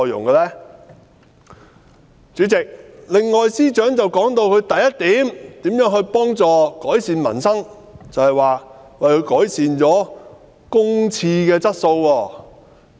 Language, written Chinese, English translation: Cantonese, 代理主席，司長提到的另一點，就是當局如何改善民生，更以改善公廁質素為證。, Deputy President another point raised by the Chief Secretary is the improvement of peoples livelihood made by the authorities and he even cited the quality improvement of public toilets as an example